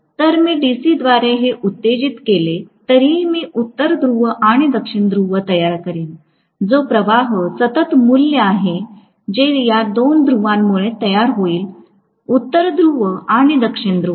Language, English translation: Marathi, Even if I excite this by DC, I would create rather a North Pole and South Pole which will be, you know a constant value of flux that will be created because of these two poles, North Pole and South Pole